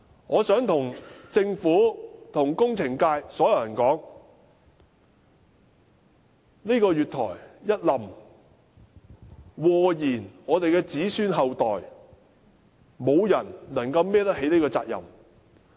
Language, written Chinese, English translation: Cantonese, 我想對政府及工程界所有人說，如果月台塌下來，會禍延子孫後代，沒有人能背負這個責任。, I would like to tell the Government and all members of the engineering sector if the platform really collapsed the future generations would be affected and nobody could shoulder this responsibility